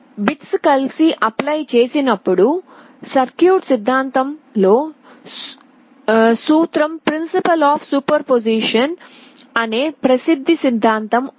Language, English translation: Telugu, When the bits are applied together, there is a well known theorem in circuit theory called principle of superposition